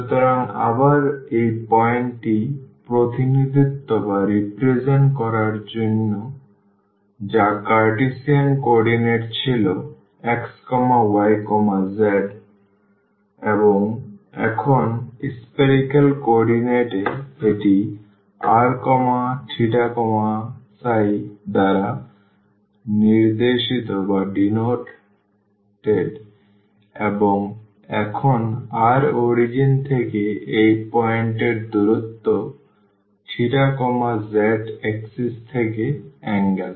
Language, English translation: Bengali, So, again to represent this point which was x y z in a spherical coordinate and now in Cartesian coordinate and, now in spherical coordinates this is denoted by r theta and phi and now r is the distance from the origin to this point theta is the angle from the z axis